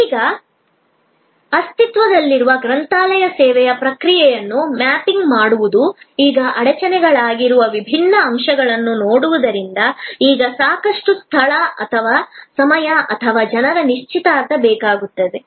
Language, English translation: Kannada, Now, mapping the process of the existing library service, looking at the different elements that are now bottlenecks are now takes a lot of space or time or people engagement